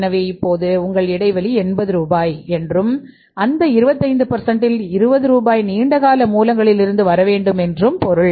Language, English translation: Tamil, So it means you have now the your gap is 80 rupees and out of that 25% means 20 rupees should come from the long term sources and bank can provide 60 rupees